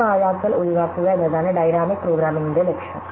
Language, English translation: Malayalam, So, the goal of dynamic programming is to avoid this wastefulness